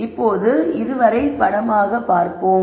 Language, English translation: Tamil, Now let us look at this pictorially